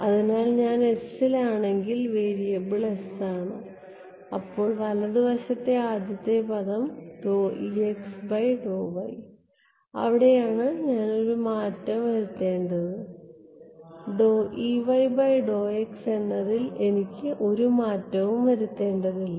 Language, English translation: Malayalam, So, if I am in s then the variable is s, then is first term on the right hand side d E x by d y that is where I have to choose make a change and in E y with respect to x i do not need to make a change right